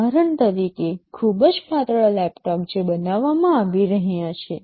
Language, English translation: Gujarati, Like for example, the very slim laptops that are being built